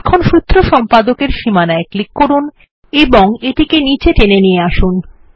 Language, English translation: Bengali, Let us click on the Formula Editor border and drag and drop to the right to make it float